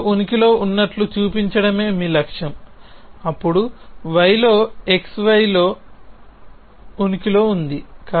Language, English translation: Telugu, Your goal is to show in exist on x then exist on y that on x y